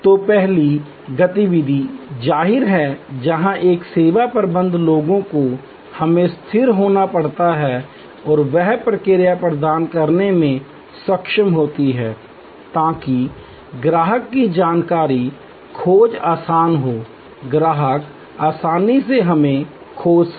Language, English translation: Hindi, So, the first activity; obviously, where a service management people we have to be stable and able to provide that response, so that the customer's information search is easy, the customer can easily find us